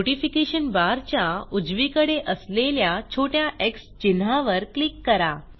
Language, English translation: Marathi, Click on the small x mark on the right of the Notification bar